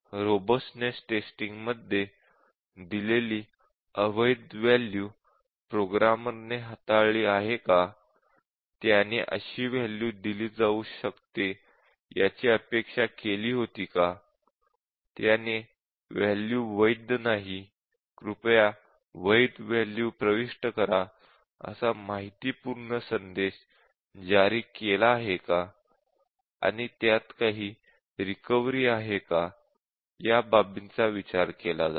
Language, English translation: Marathi, And in robustness testing, we check given a value which is not really a valid value, invalid value, does the programmer handle it, did he expect that such values can be given, did he issue an informative message that the value is not valid and please enter a valid value, and does it have some recovery or the programmer has to repeat all the actions